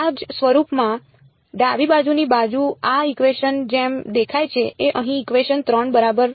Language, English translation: Gujarati, Of the same form correct does the left hand side look like that of this equation over here equation 3 ok